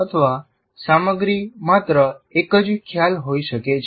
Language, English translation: Gujarati, Or the content could be just merely one single concept as well